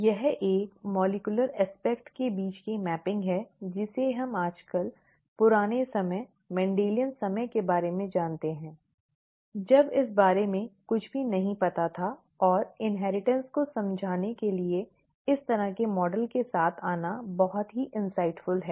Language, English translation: Hindi, This is the mapping between a molecular aspect that we know of nowadays to the olden times, the Mendelian times, when nothing of this was known, and it is very insightful to come up with this kind of a model to explain inheritance